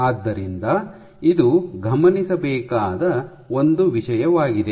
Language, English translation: Kannada, So, this is one thing to be noted